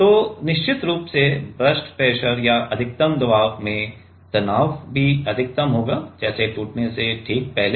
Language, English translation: Hindi, So, definitely that burst pressure or the maximum pressure the stress will also be maximum, like just before breaking